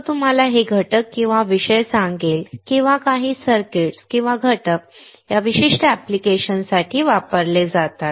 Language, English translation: Marathi, He will tell you these ingredient or topics or some circuits or components are used for this particular applications